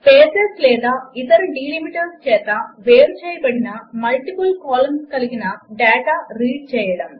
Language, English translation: Telugu, To Read multiple columns of data, separated by spaces or other delimiters